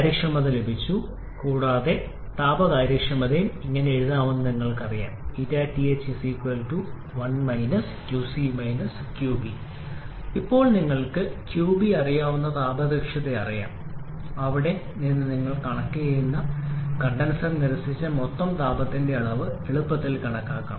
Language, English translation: Malayalam, We have got the efficiency and you know that the thermal efficiency can also be written as 1 qC upon qB now you know thermal efficiency you know qB from there also you can easily calculate total amount of heat rejected in the condenser